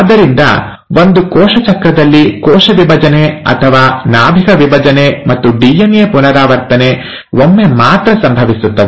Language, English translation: Kannada, So, in one cell cycle, the cell division or the nuclear division and the DNA replication happens once